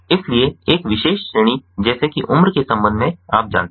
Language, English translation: Hindi, so with respect to a particular category, like age, you know